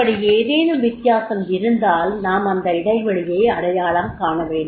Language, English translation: Tamil, And if there is a difference, we have to identify the gap